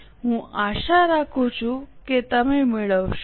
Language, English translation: Gujarati, I hope you are getting it